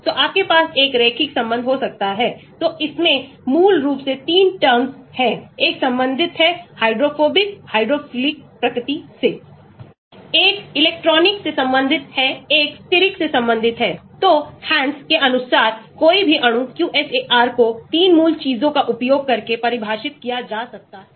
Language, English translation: Hindi, So, you could have a linear relation, so it basically has 3 terms; one related to the hydrophobic, hydrophilic nature, One relates to electronic, one relates to steric, so according to Hansch’s, any molecule QSAR could be defined using 3 basic things